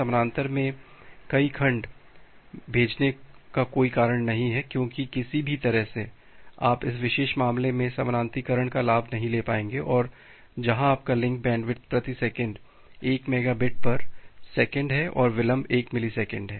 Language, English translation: Hindi, There is no reason to send multiple segments in parallel because any way you will not be able to get the advantage of parallelization in this particular case where your link bandwidth is 1 mega bit per second and delay is 1 millisecond